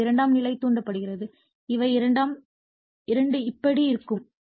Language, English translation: Tamil, So, this is your secondary induced both will be like this